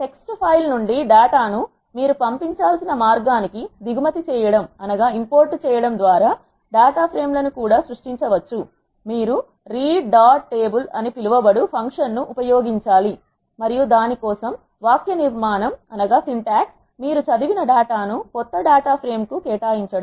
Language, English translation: Telugu, Data frames can also be created by importing the data from text file to the way you have to do it is you have to use the function called read dot table and the syntax for that is you assign the data which your reading to a new data frame you have name that data from which you want to create and then read dot table takes in the argument the path of the file